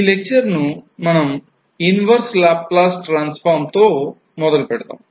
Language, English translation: Telugu, In this particular lecture we will start with the Inverse Laplace Transform